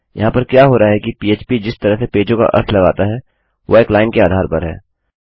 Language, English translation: Hindi, What we have is the way php interprets the pages its on a single line basis